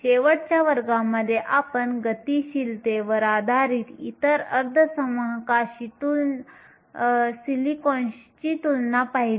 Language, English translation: Marathi, Last class we also looked at the comparison of silicon with other semiconductors based on mobility